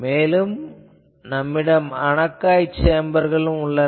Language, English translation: Tamil, Then you have anechoic chambers